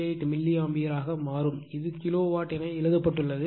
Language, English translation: Tamil, 28 milliAmpere , right this is you are written as kilowatt